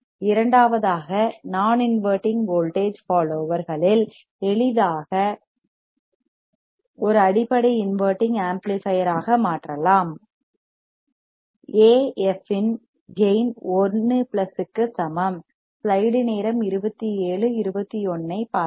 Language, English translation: Tamil, The two in non inverting voltage followers, can be easily converted to into a basic inverting amplifier with the gain of A f equals to 1 plus